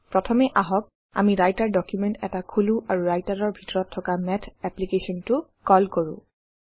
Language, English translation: Assamese, Let first open a Writer document and then call the Math application inside Writer